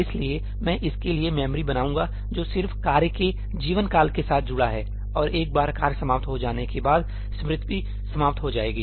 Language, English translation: Hindi, So, I will create memory for it which is just associated with the lifetime of the task and once the task is over that memory will be gone